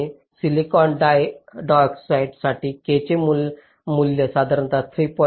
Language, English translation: Marathi, and for silicon dioxide the value of k is typically three point nine